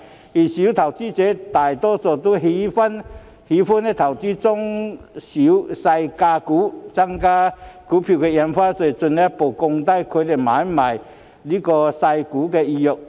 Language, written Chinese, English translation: Cantonese, 然而，小投資者大多喜歡投資中細價股，增加印花稅會進一步降低他們買賣細價股的意欲。, Worse still given that most small investors like to invest in penny stocks an increase in Stamp Duty will further dampen their desire to engage in penny stock trading